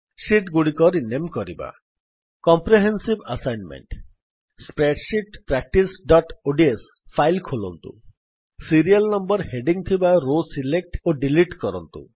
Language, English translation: Odia, Renaming Sheets COMPREHENSIVE ASSIGNMENT Open Spreadsheet Practice.ods file Select and delete the row with the heading Serial Number